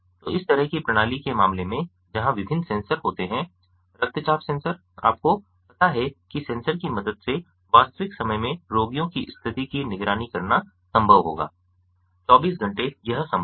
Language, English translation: Hindi, so in in the case of this kind of system where there are different sensors, the blood pressure sensor, you know the blood pressure sensor, would be, you know, with the help of the sensors it will be possible to monitor, ah the condition of the patients in real time, round the clock